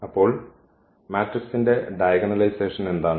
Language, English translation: Malayalam, So, what is the diagonalization of the matrix